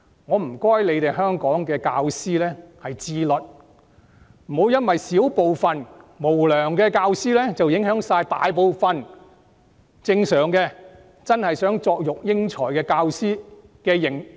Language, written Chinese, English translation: Cantonese, 我請香港的教師自律，不要因為小部分無良教師而影響大部分真的希望作育英才的教師的聲譽。, I ask teachers in Hong Kong to exercise self - discipline . Do not let the reputation of the majority of teachers who truly aspire to cultivate talents be tainted by a fraction of their unscrupulous counterparts